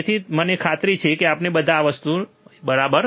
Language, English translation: Gujarati, So, I am sure all of us remember this thing, right